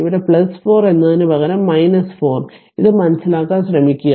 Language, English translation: Malayalam, Instead of plus 4 here it is minus 4 right just just try to understand this